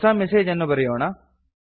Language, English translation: Kannada, Lets compose a new message